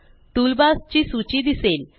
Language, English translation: Marathi, You will see the list of toolbars